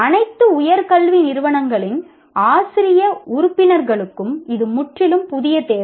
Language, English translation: Tamil, This is a completely new requirement for faculty members of all higher educational institutions